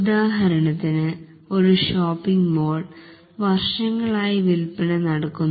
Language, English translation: Malayalam, For example, let's say in a shopping mall sales is occurring over a number of years